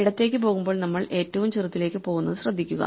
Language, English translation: Malayalam, So, notice that as we keep going left we go smaller and smaller